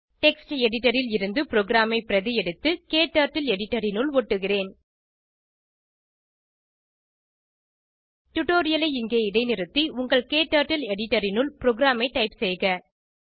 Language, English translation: Tamil, Let me copy the program from text editor and paste it into KTurtle editor Please pause the tutorial here and type the program into your KTurtle editor